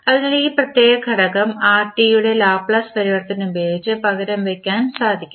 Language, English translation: Malayalam, So, what we will do we will this particular component you can replace with the Laplace transform of Rt